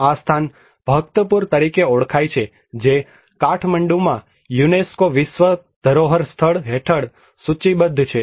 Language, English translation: Gujarati, This place is known as Bhaktapur which is listed under the UNESCO world heritage site in Kathmandu